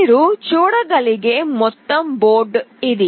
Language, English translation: Telugu, This is the overall board you can see